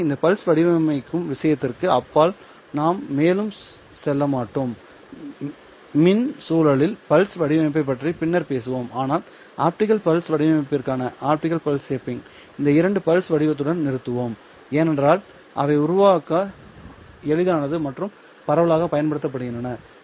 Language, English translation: Tamil, We will talk about pulse shaping in the electrical context later on, but for the optical pulse shaping we will stop with these two pulse shapes because these are easy to generate and they are therefore widely used